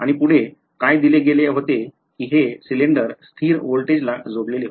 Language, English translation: Marathi, And further what was given was that this cylinder was connected to a constant voltage right